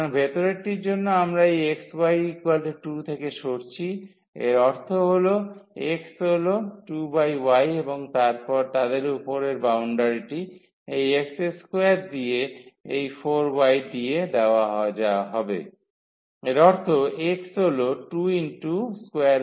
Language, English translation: Bengali, So, for the inner one we are moving from this x y is equal to 2; that means, x is 2 over y and their the upper boundary will be given by this x square is equal to x square is equal to 4 y; that means, x is 2 square root y